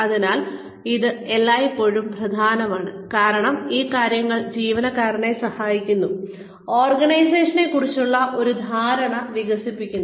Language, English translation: Malayalam, So, it is always important, because these things help the employee, develop an understanding of the organization